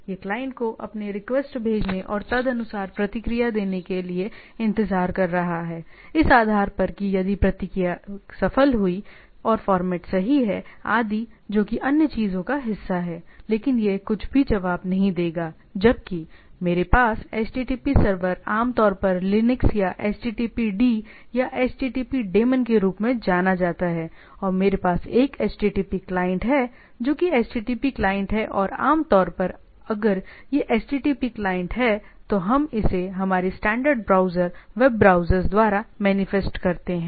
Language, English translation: Hindi, So, it is waiting for the client to send their request and respond accordingly, based on that the if the respond is successful and the format is correct etc that is other part of the things, but it will respond to the nothing whereas, the so, I have http server typically known as “httpd” or http daemon in terms of Linux or stuff like that and I have a http client, which is http client or typically if it is http client, we this is manifested by our standard browsers web browsers